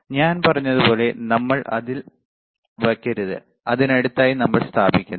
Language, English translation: Malayalam, So, like I said, we should not place on it we are placing it next to it, all right